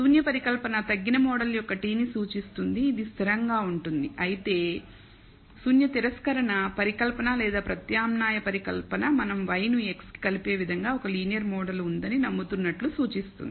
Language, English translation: Telugu, So, the null hypothesis represents the t of a reduced model which involves only a constant whereas, the rejection of the null hypothesis or the alternative hypothesis implies that we believe there is a linear model that relates y to x